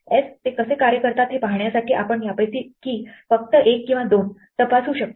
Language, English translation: Marathi, S, we can just check one or two of these just to see how they work